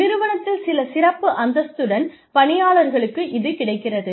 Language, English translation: Tamil, That are available to employees, with some special status, in the organization